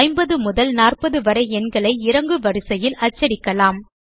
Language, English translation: Tamil, Now Let us print numbers from 50 to 40 in decreasing order